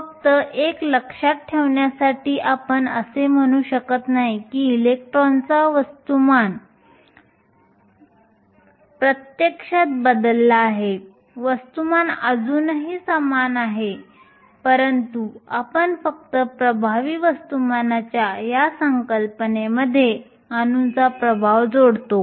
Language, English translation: Marathi, Just a reminder we do not mean that the mass of the electron is actually changed the mass still remains the same, but we just club the effect of the atoms into this concept of the effective mass